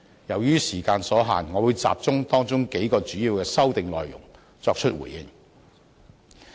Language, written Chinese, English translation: Cantonese, 由於時間所限，我會集中回應當中數項主要的修訂內容。, Due to the shortage of time I will focus on responding to several main points of the amendments